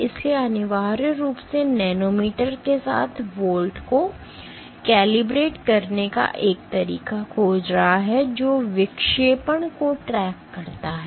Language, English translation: Hindi, So, essentially finding out a way to calibrate volts with nanometer which tracks deflection